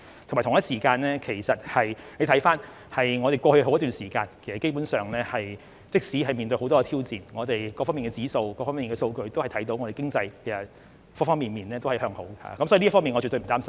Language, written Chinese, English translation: Cantonese, 此外，大家可以看到，過去好一段時間，即使面對很多挑戰，但從香港各方面的指數或數據都可以看到，我們經濟方方面面也是向好的，所以這方面我絕對不擔心。, Besides as Members can see for some time in the past despite the many challenges we faced we can see from various indices or statistics of Hong Kong that our economy has shown promising prospects on all fronts . So I absolutely have no worries about it